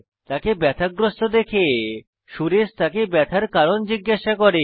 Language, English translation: Bengali, Seeing him in pain, his friend Suresh, asks him what is wrong